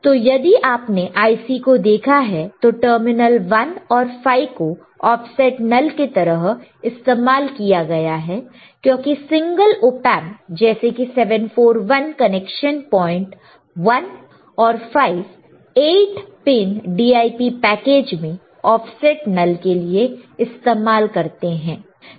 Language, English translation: Hindi, So, if you have seen the Ic the terminal 1 and 5 are used for offset null right because single Op Amp such as 741 the effect of null connection points 1 and 5 right on the 8 pin DIP package are used for offset null